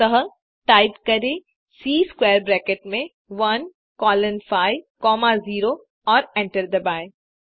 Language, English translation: Hindi, So type C within square bracket 1 comma 1 colon 3 and hit enter